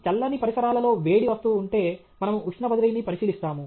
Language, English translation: Telugu, If there is a hot object placed in cold surroundings, we will look at heat transfer